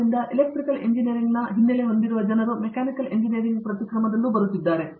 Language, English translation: Kannada, So, people with backgrounds in Electrical Engineering are coming into Mechanical Engineering and vice versa